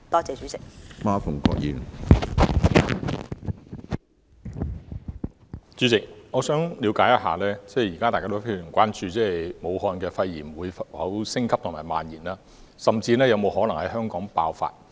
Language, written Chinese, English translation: Cantonese, 主席，大家現時非常關注武漢的肺炎情況會否升級及蔓延，甚至是否可能在香港爆發。, President we are all gravely concerned about whether the situation of pneumonia in Wuhan will escalate and spread or worse still whether an outbreak may occur in Hong Kong